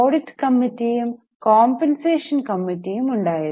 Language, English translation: Malayalam, There were audit and compensation committees